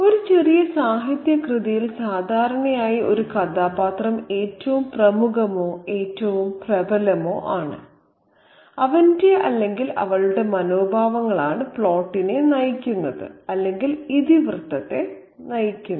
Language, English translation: Malayalam, Now, in a short work of literature, usually one character is the most prominent or the most dominant and his or her attitudes are what runs the plot or what drives the plot